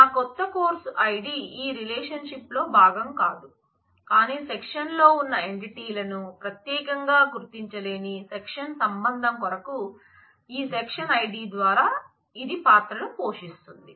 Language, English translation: Telugu, My new course id is not a part of this relation, but it actually plays the role through this section id as a key for the section relation without which the section entities in the section cannot be uniquely identified